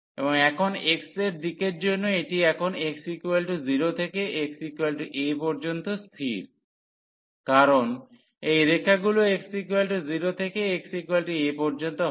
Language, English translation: Bengali, And now for the x direction it is fixed now from x is equal to 0 and to x is equal to a, because these lines move from x is equal to 0 to x is equal to a